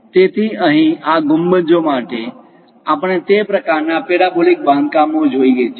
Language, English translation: Gujarati, So, here for these domes, we see that kind of parabolic constructions